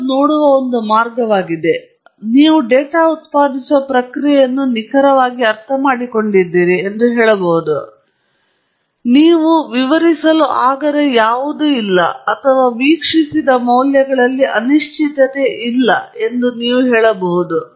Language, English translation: Kannada, That’s one way of looking at it or you can say that you have exactly understood the data generating process; there is nothing that you cannot explain or that you can say that there is no uncertainty in the observed values